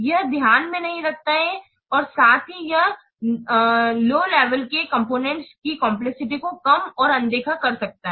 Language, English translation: Hindi, It does not take into account as well as it may tend to underestimate and overlook the complexities of low level components